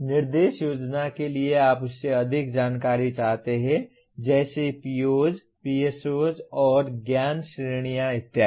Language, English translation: Hindi, For planning instruction you may want to have more information than that like POs, PSOs, and knowledge categories and so on